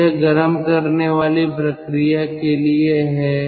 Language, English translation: Hindi, so this is for the heating process